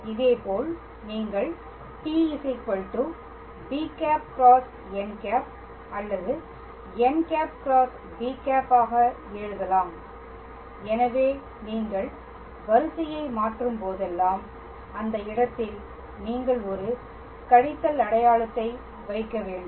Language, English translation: Tamil, And similarly you can write t cap equals to b cross n or n cross b so, so whenever you are changing the order so, then in that case you have to put a minus sign